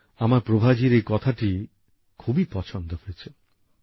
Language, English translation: Bengali, " I appreciate Prabha ji's message